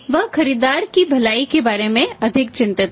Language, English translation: Hindi, He is more concerned about the well being of the buyer